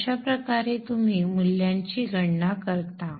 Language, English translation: Marathi, So this is how you calculate the value of